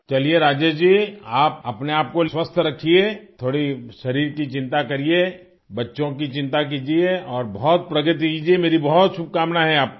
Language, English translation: Hindi, Alright, Rajesh ji, keep yourself healthy, worry a little about your body, take care of the children and wish you a lot of progress